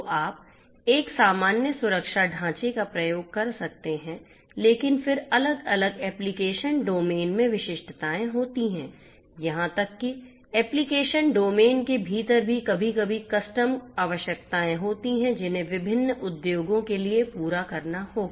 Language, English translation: Hindi, So, you can come up with a common security framework right that is fine, but then there are specificities across different you know application domains even within an application domain also there are sometimes custom requirements that will have to be fulfilled for different industries